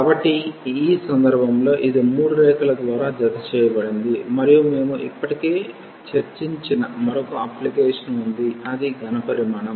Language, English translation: Telugu, So, in this case it was enclosed by a 3 curves and we had another application which we have already discussed that is the volume of the solid